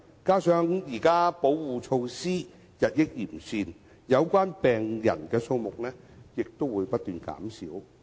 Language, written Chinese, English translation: Cantonese, 加上現時保護措施日益完善，有關病人的數目亦不斷減少。, Coupled with the improvement in the existing protection measures the number of patients concerned is also decreasing